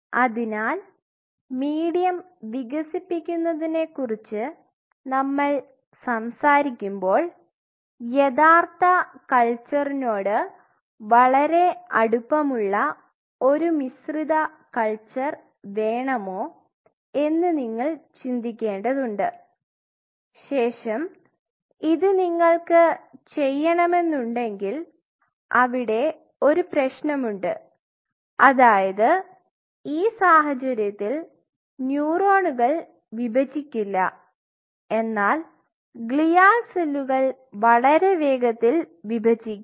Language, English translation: Malayalam, So, when we talk about developing this medium one has to make a call that do you want a mixed culture really absolutely close in to real life culture, but then if you have to do this there is one catch is this that neurons may not divide, but the glial cells will divide at a faster rate